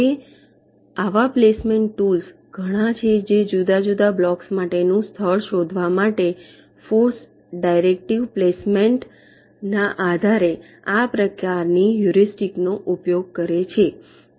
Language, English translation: Gujarati, now there has been a number of such placement tools which use this kind of heuristic, based on force directive placement, to actually find out the location for the different blocks